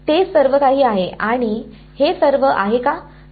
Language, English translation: Marathi, That is all, and why is it all